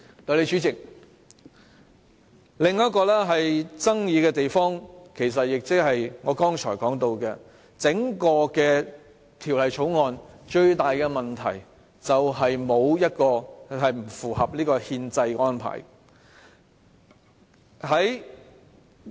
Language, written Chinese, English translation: Cantonese, 代理主席，另一個具爭議性的地方，其實也是我剛才提到，整項《條例草案》最大的問題，就是不合乎憲制安排。, Deputy President there is another controversial issue and I have already mentioned it just now . I mean the greatest problem with the whole Bill is its unconstitutionality